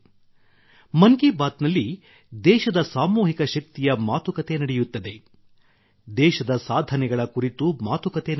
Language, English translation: Kannada, In 'Mann Ki Baat', there is mention of the collective power of the country;